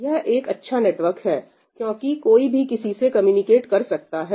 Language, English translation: Hindi, It seems like quite a good network, why because anybody can communicate with anybody